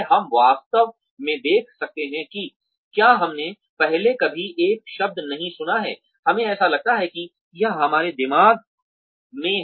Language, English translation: Hindi, We actually can see if we have never heard a word before, we feel like spelling it out in our minds